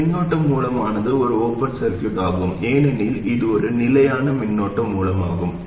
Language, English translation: Tamil, This current source is an open circuit because it is a fixed current source